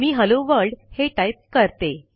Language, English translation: Marathi, Let me type the text Hello world